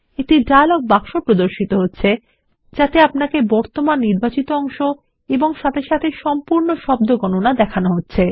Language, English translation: Bengali, A dialog box appears which shows you the word count of current selection and the whole document as well